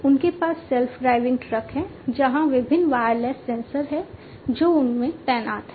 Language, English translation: Hindi, They have self driving trucks, where there are different wireless sensors, that are deployed in them